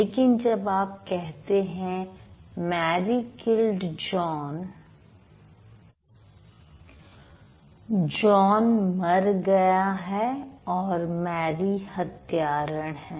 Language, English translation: Hindi, But when you say Mary killed John, John is dead and Mary is the killer